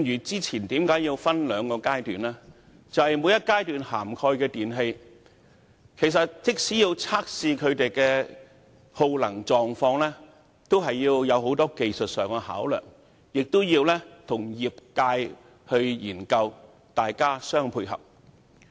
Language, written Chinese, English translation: Cantonese, 早前的計劃需要分兩個階段實施，正正因為在每一階段涵蓋的電器，均須經過測試來確定耗能狀況，當中涉及很多技術上的考量，亦要與業界研究，各方互相配合。, It was necessary to implement the scheme in two phases previously because the electrical appliances covered in each phase had to be tested in order to ascertain their energy consumption status and in the process a lot of technical considerations were involved and it was also necessary to conduct studies with the industries and rely on the complementary efforts of all sides